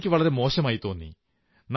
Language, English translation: Malayalam, I feel very bad